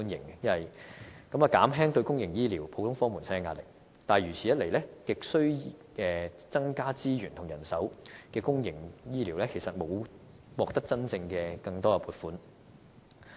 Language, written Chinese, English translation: Cantonese, 此舉亦可以減輕公營醫療普通科門診的壓力，但如此一來，亟需增加資源和人手的公營醫療服務，其實便是沒有獲得更多真正撥款的。, Such initiative also serves to alleviate the burden borne by general outpatient clinics as a part of public health care . However in the case of the public health care system which is in dire need of more resources and manpower such initiative effectively means that no additional funding is actually distributed to the system